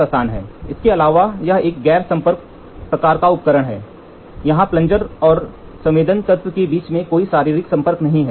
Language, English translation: Hindi, Moreover, it is a non contact type device, where there is no physical contact between the plunger and the sensing element, plunger and the sensing element